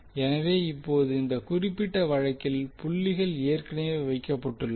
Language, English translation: Tamil, So now in this particular case the dots are already placed